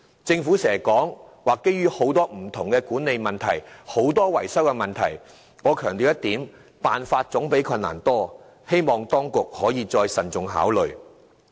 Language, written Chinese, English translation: Cantonese, 政府經常提到當中涉及多種不同的管理問題及維修問題，但我要強調一點，辦法總比困難多，希望當局可再作慎重考慮。, The Government speaks so often the various management as well as maintenance problems involved in relaunching TPS but I want to stress that solutions always outnumber problems . I hope the Secretary will carefully reconsider my suggestion